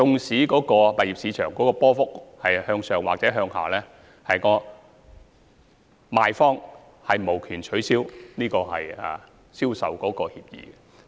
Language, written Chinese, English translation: Cantonese, 物業市場即使波幅向上或向下，賣方都無權取消銷售協議。, Regardless of whether the property price adjusts upward or downward the vendor has no rights to cancel the sale agreement